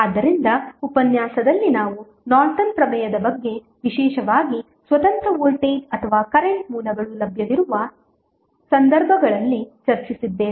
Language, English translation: Kannada, So, in the session we discussed about the Norton's theorem, a particularly in those cases where the independent voltage or current sources available